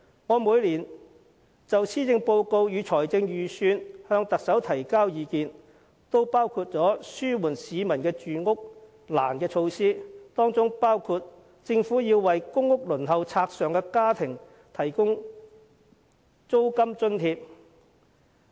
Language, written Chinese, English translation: Cantonese, 我每年就施政報告和財政預算案向特首提交意見時，均有建議紓緩市民住屋困難的措施，其中包括政府須為公屋輪候冊上的家庭提供租金津貼。, When I made recommendations to the Chief Executive on the policy address and budget each year I have already suggested measures to ameliorate peoples housing difficulties which include the provision of rental allowance by the Government for households on the waiting list for PRH